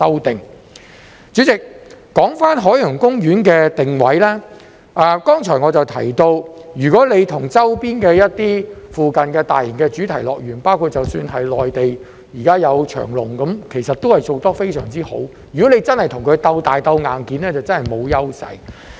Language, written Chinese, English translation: Cantonese, 代理主席，說回海洋公園的定位，正如我剛才提到，如果要與周邊或附近一些大型主題樂園，包括內地——現時有長隆，其實都是做得非常之好——如果真的要與這些樂園鬥大、鬥硬件，海洋公園真的沒有優勢。, Deputy President returning to the positioning of OP as I have mentioned just now if we are to compare OP with other major theme parks in the surrounding area or in the vicinity including Chimelong on the Mainland which is doing very well at present and if we are to compete with these parks in terms of size and hardware OP has no advantage at all